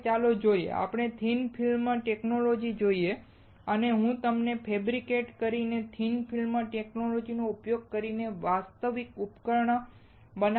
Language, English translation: Gujarati, Now, let us see let us see the thick film technology and I will try to show you the actual device using the thin film technology that I have fabricated